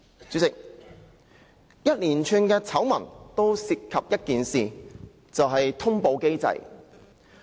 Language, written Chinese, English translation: Cantonese, 主席，連串醜聞均涉及一件事，就是通報機制。, President the series of scandals all involve one thing and that is the notification mechanism